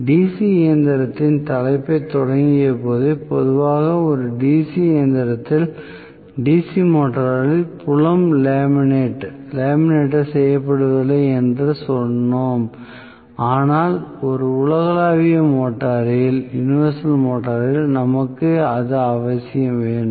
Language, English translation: Tamil, When we started the topic of DC machine itself we said normally field is not laminated in a DC motor in a DC machine but in a universal motor we need to necessarily